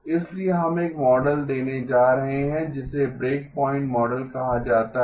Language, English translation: Hindi, So we are going to give a model called the breakpoint model